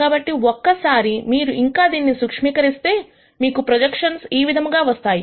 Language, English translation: Telugu, So, once you simplify this further you get the projection as the following